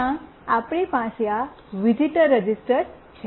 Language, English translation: Gujarati, There we have this visitor register